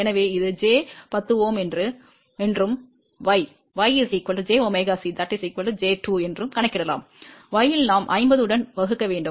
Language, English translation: Tamil, So, let just calculate this is j 10 Ohm and what was y, y was j omega c which is equal to j 2 and in y we have to divide with 50